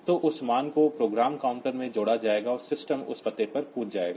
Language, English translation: Hindi, So, that value will be added to the program counter, and the system will jump to that address